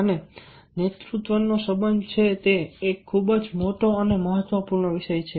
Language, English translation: Gujarati, so, for as the leadership is concerned, its a very big topic, important topic